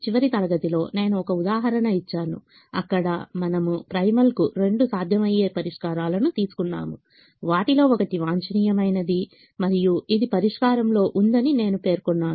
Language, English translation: Telugu, in the last class i gave an example where i said we took two feasible solutions to the primal, one of which happened to be the optimum, and i mentioned that in the